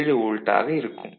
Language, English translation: Tamil, 7 volt ok